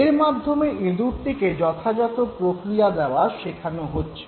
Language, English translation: Bengali, So this was basically again making the rat learn how to respond